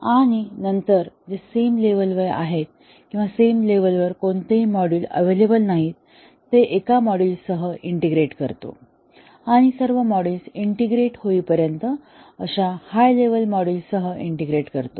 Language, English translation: Marathi, And then integrate it with one module, which is at the same level or there are no modules available in the same level, we integrate with the module in the higher level and so on until all the modules are integrated